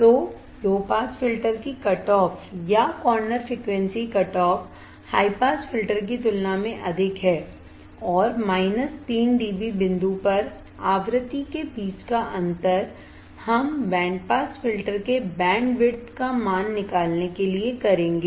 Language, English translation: Hindi, So, the cutoff or corner frequency of the low pass filter is higher than the cutoff high pass filter and the difference between the frequency at minus 3 d B point we will determine the band width of the band pass filter alright